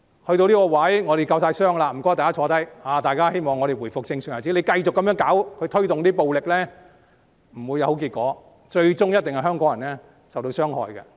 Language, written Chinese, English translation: Cantonese, 事情發展至今，我們已經夠傷了，請大家坐下來，大家都希望回復正常日子，繼續這樣推動暴力，不會有好結果，最終受傷害的一定是香港人。, We all hope that we can return to our normal life . If the promotion of violence continues we will come to a tragic end . The people of Hong Kong will be the ultimate victims